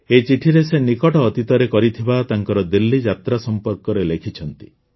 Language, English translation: Odia, In this letter, she has mentioned about her recent visit to Delhi